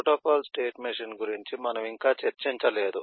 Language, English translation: Telugu, Protocol state machine we have not discussed as yet